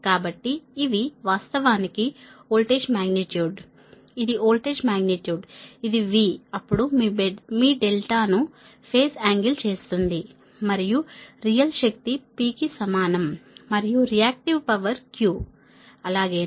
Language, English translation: Telugu, this is voltage magnitude, that v, then phase angle, your delta and real power is equal to p and reactive power is q, right